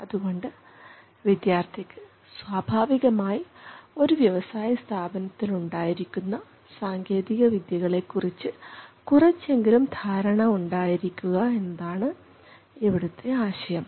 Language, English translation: Malayalam, So the idea is that a student would know atleast something about these would be familiar to an extent about these technologies which typically exist in an industrial facility